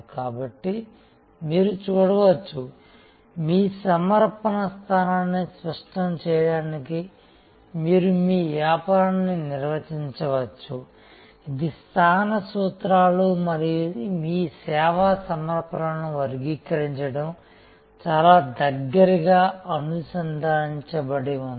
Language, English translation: Telugu, So, you can see therefore, you can define your business to clarify your offering position, this is principles of positioning and these classifying your service offerings are very closely connected